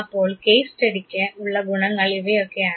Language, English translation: Malayalam, So, case study has all those advantages